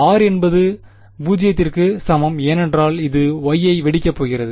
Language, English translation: Tamil, r is equal to 0 because that is the point where Y is going to blow up ok